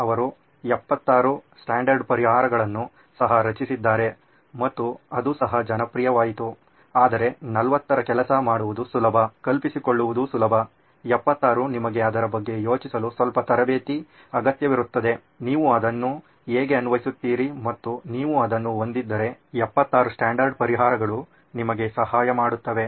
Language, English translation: Kannada, He also generated 76 standard solutions that also became popular but 40 is easier to work with, easier to imagine, 76 requires a little bit of training for you to think about it, how do you apply it and if you have it nailed down the problem nailed down then 76 standard solutions help you